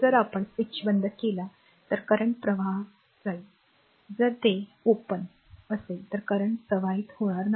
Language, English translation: Marathi, If you close the switch current will flow if you just open it and current will not flow